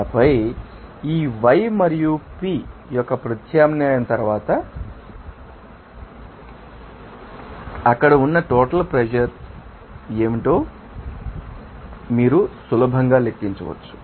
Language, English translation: Telugu, And then this after substitution of this yi and Piv they are then you can easily calculate what should be you know that total pressure there